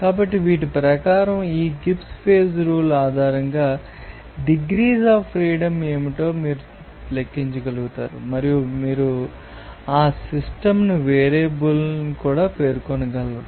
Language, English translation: Telugu, So, according to these, you will be able to calculate what should be the degrees of freedom based on this Gibbs phase rule, and also you will be able to specify that system variable